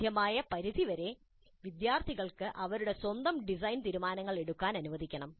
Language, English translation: Malayalam, To the extent possible, students must be allowed to make their own design decisions, their own design decisions